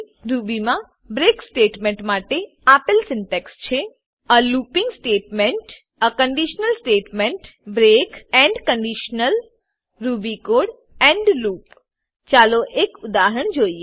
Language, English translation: Gujarati, The syntax for the break statement in Ruby is a looping statement a conditional statement break end conditional ruby code end loop Let us look at an example